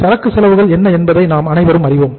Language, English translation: Tamil, We all know what are the inventory costs